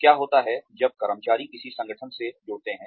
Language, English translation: Hindi, What happens, when employees join an organization